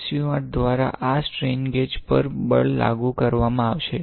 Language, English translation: Gujarati, So, the force will be applied to these strain gauge through SU 8